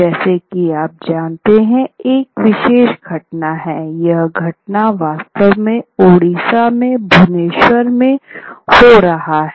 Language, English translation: Hindi, As you note, this is, this is a particular event, this performance was actually located in, was happening in Orissa in Bhovaneshwar